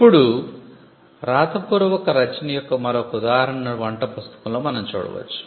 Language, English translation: Telugu, Now, we can look at an instance of a written work for instance a cookbook